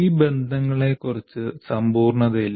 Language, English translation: Malayalam, There is no absoluteness about these relationships